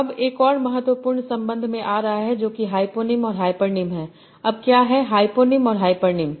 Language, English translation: Hindi, Now, coming to another important relation that is hyponyms and hyphenoms